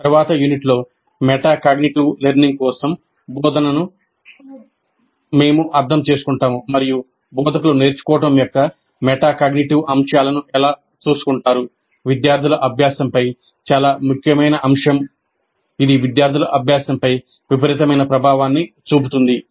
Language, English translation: Telugu, And in the next unit, we'll understand instruction for metacognitive learning, an extremely important aspect of student learning, which has tremendous influence on student learning, and how do the instructors take care of the metacognitive aspects of learning